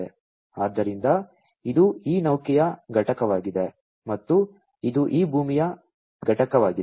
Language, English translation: Kannada, So, this is this vessel component and this is this land component